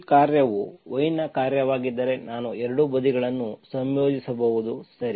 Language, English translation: Kannada, If, if this function is only function of y, then I can integrate both sides, okay